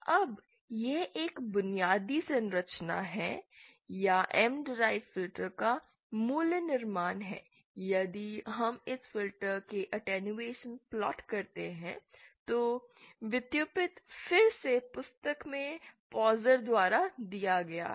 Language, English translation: Hindi, Now this is a basic structure of a or the basic construction of a M derived filter if we plot the attenuation of this filter, the derivations are again given in the book by Pozar